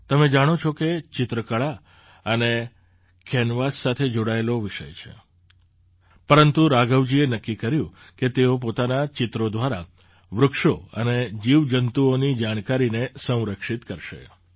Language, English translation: Gujarati, You know, painting is a work related to art and canvas, but Raghavan ji decided that he would preserve the information about plants and animals through his paintings